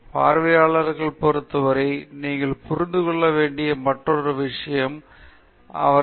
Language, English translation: Tamil, The other thing that you need to understand with respect to the audience is why are they watching